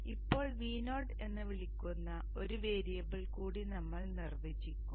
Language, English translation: Malayalam, So now we shall define one more variable called V0